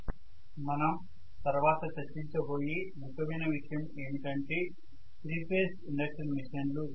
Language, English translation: Telugu, So the next one that we are going to take up is one of the most important topics in the machine that is 3 phase induction machines